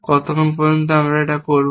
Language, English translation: Bengali, Till what time do we do that